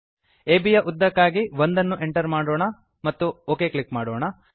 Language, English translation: Kannada, Lets Enter 1 for length of AB and click OK